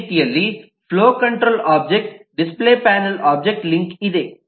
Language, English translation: Kannada, there is a link from the flow control object to the display panel object